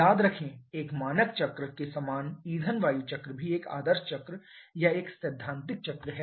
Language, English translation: Hindi, Remember similar to a standard cycle fuel air cycle is also an ideal cycle or a theoretical cycle